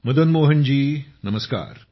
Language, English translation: Marathi, Madan Mohan ji, Pranam